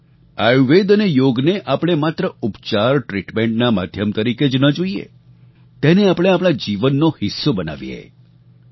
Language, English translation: Gujarati, Do not look at Ayurveda and Yoga as a means of medical treatment only; instead of this we should make them a part of our life